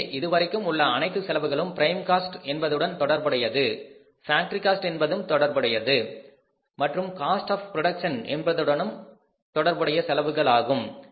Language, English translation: Tamil, So these all expenses up till this are expenses related to the prime cost, expenses related to the factory cost and expenses related to the cost of production